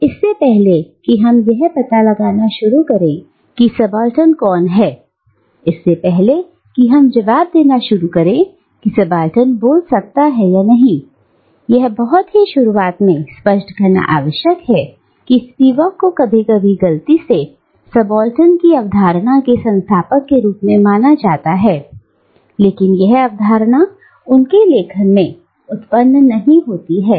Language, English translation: Hindi, Now, before we start exploring who or what is a subaltern, and before we start answering can the subaltern speak or not, it is essential to clarify at the very onset that though Spivak has occasionally been mistaken as the founder of the concept of the subaltern, this concept does not originate in her writings